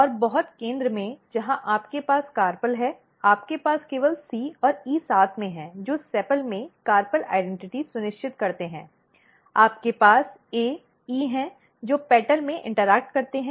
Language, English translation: Hindi, And in very center where you have the carpel you have only C and E and C and E together ensures carpel identity in sepal you have A, E interacting in petal you have A, B, E interacting